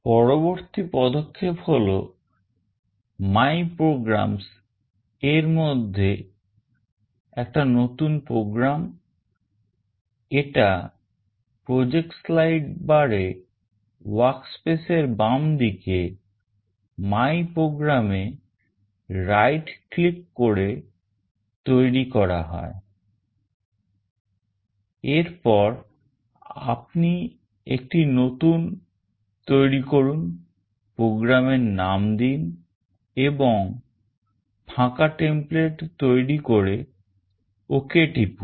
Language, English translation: Bengali, Next step is to create a new program under ‘my programs’ in the project slide bar to the left of the workspace by right clicking on MyPrograms, then you create a new one and name the program and choose an empty template and then you press ok